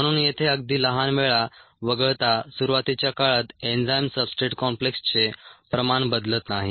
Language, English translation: Marathi, ok, so apart from very short times here, early times, the concentration of the enzyme substrate complex does not change